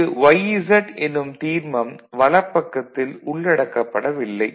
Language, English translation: Tamil, So, this term yz is not included in the right hand side